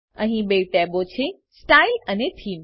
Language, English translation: Gujarati, Here, there are two tabs: Style and Theme